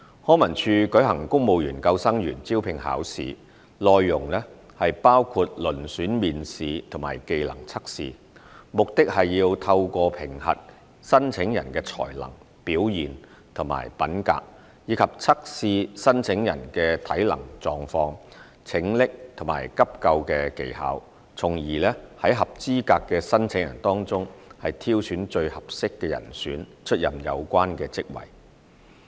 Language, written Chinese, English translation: Cantonese, 康文署舉行公務員救生員招聘考試，內容包括遴選面試和技能測試，目的是透過評核申請人的才能、表現及品格，以及測試申請人的體能狀況、拯溺及急救技巧，從而在合資格的申請人當中挑選最合適的人選出任有關職位。, The recruitment examination for civil service lifeguards conducted by LCSD consists of a selection interview and trade test which aim to select the most suitable candidates from qualified applicants for the posts concerned having regard to the applicants abilities performance character physical competence and skills of lifesaving and first aid